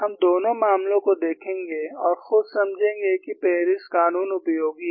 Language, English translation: Hindi, We would see both the cases and convince ourself, that Paris law is useful